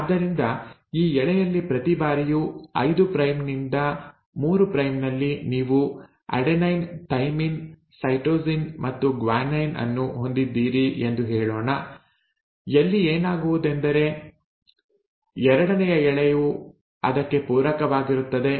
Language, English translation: Kannada, So every time in this strand, 5 prime to 3 prime, you let's say have an adenine, a thymine, a cytosine and a guanine, what will happen is the second strand will be complementary to it